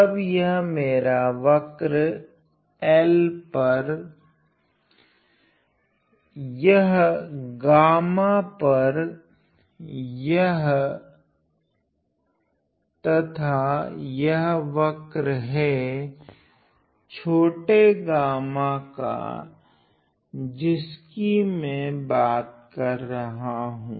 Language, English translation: Hindi, So, this is my curve this is over L, this is over gamma and this is the curve I am talking about is small gamma